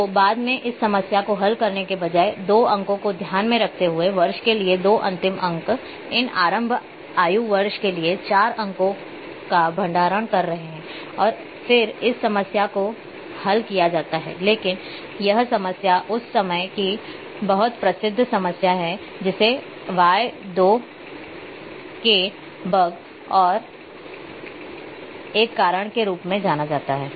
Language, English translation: Hindi, So, later on this problem by solved by instead of keeping 2 digits, two last digits for the year these start age is storing four digits for the year and then this solved problem are solved, but this problem is very famous problem of that time it is known as the y two k bug and a because of this reason